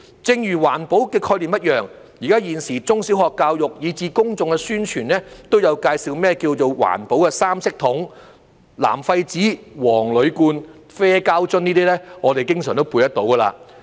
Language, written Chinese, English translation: Cantonese, 正如環保的概念一樣，現時中小學教育，以至公眾的宣傳都有介紹甚麼是環保三色桶，"藍廢紙、黃鋁罐、啡膠樽"，這些分類我們經常都背出來。, Just like the concept of environmental protection the concept about three - coloured separation bins is now being introduced at primary and secondary schools as well as in publicity programmes so we can always tell the separation categories according to the slogan of blue for paper yellow for aluminium cans and brown for plastic bottles